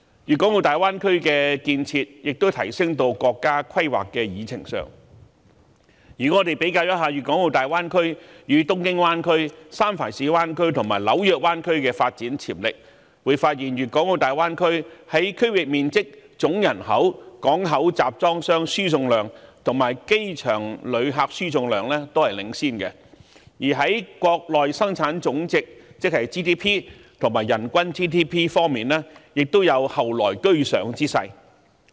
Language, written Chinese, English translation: Cantonese, 粵港澳大灣區的建設亦已提升至國家規劃的議程上，如果我們比較粵港澳大灣區、東京灣區、三藩市灣區及紐約灣區的發展潛力，便會發現粵港澳大灣區在區域面積、總人口、港口集裝箱輸送量及機場旅客輸送量均領先；而在國內生產總值及人均 GDP 方面，亦有後來居上之勢。, The Greater Bay Area initiative is already on the agenda of national planning . If we compare the development potential of the Greater Bay Area with those of Tokyo Bay San Francisco Bay and New York Bay we will find that the Greater Bay Area tops the rest of the bay areas in terms of regional area total population port container throughput and airport passenger throughput . Its Gross Domestic Product GDP and per capita GDP are about to catch up with the rest